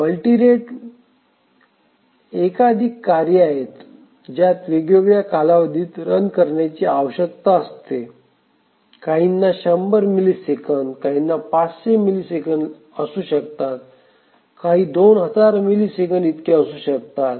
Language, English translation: Marathi, periods so which are we called as multi rate operating system in multi rate we have multiple tasks which require running at different periods some may be requiring every 100 milliseconds, some may be 500 milliseconds, some may be 2,000 milliseconds, etc